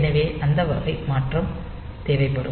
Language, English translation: Tamil, So, that type of modification will be required